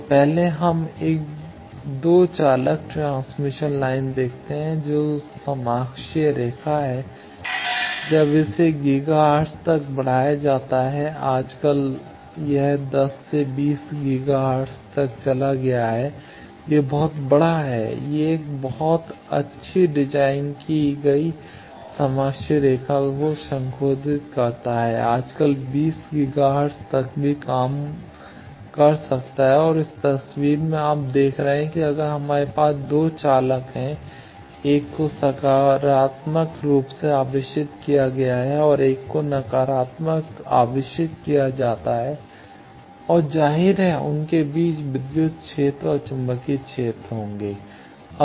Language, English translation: Hindi, So, first let us see a 2 conductor transmission line which is the coaxial line when it is extended up to gigahertz in up to gigahertz, nowadays it went to 10 20 gigahertz, it is huge, it is modified a very good designed coaxial line nowadays can work up to 20 gigahertz also and this in this picture you are seeing that if we have 2 conductors 1 is positively charged another is negatively charged and obviously, there will be electric fields and magnetic fields between them